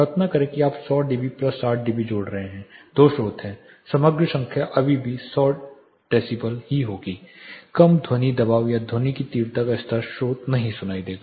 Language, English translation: Hindi, Imagine you are adding 100 dB plus 60 dB there are two sources, the overall number will be still be 100 decibel the lower sound pressure or sound intensity level source will not be heard